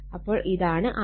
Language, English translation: Malayalam, So, this is your R L